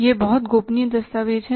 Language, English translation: Hindi, It is a very very confidential document